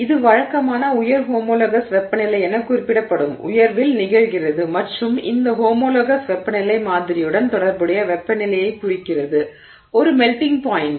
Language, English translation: Tamil, This usually occurs at a high, what is referred to as a high homologous temperature and this homologous temperature refers to the temperature of the sample relative to its melting point